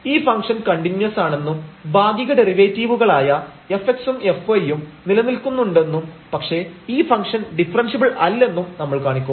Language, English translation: Malayalam, So, this is one example, we will show that this function is continuous and the partial derivatives exist both f x and f y, but the function is not differentiable